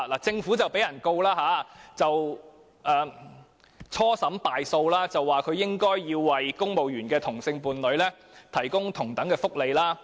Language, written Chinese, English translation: Cantonese, 政府遭興訟，初審敗訴，裁決指它應該為公務員的同性伴侶提供同等福利。, The Government was engaged in a lawsuit and lost the trial at first instance . It was ruled that it should provide equal benefits to the same - sex partners of civil servants